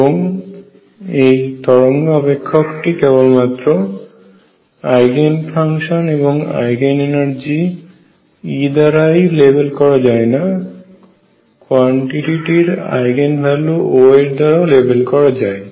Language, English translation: Bengali, And the wave function psi is not only labeled by Eigen function Eigen value of energy e, but also the Eigen value of that quantity O